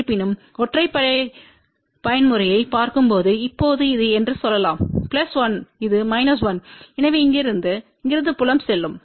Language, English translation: Tamil, However, when we look at the odd mode excitation , now let us say this is plus 1 this is minus 1, so there will be field going from here to here